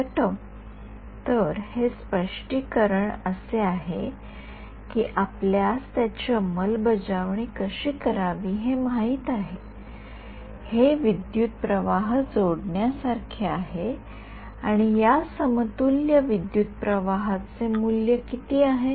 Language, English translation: Marathi, So, that interpretation is like this is just like a we know how to implement it right it is like adding a current and what is the value of this equivalent current